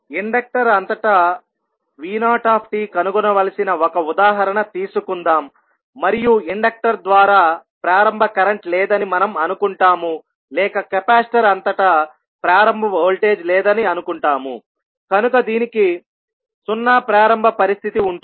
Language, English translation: Telugu, Let us take one example where we need to find out v naught at any time T across the inductor and we assume that there is no initial current through the inductor or initial voltage across the capacitor, so it will have the 0 initial condition